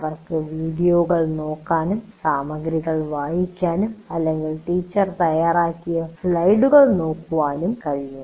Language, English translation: Malayalam, They can look at videos, they can read the material or they can look at the slides prepared by the teacher, all that can happen